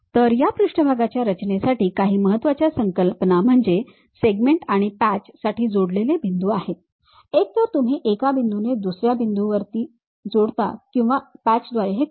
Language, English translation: Marathi, So, some of the important concepts for this surface constructions are join points for segments and patches either you join by one point to other point or by patches we will do